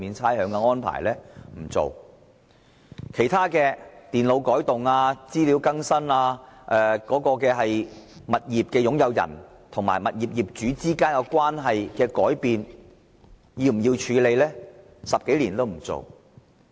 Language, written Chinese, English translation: Cantonese, 其他問題諸如電腦改動、資料更新及物業擁有人與業主之間關係的改變等，政府10多年來也不處理。, Other issues such as computer modification information update and changes of relationship between property owners and landlords have not been dealt with by the Government in the past 10 years or so